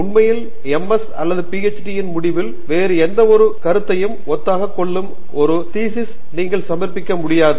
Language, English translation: Tamil, In fact, at the end of MS or PhD, you cannot submit a thesis which is similar to anybody else’s thesis